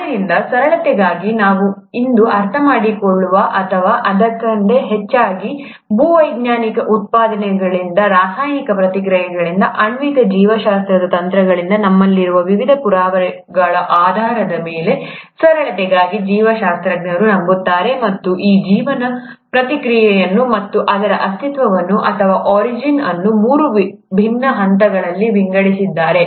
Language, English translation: Kannada, So, for simplicity, what we understand today or rather, based on the various evidences that we have from geological excavations, from chemical reactions, from molecular biology techniques, for simplicity's sake the biologists believe and have divided this very process of life and it's existence or origin into three different phases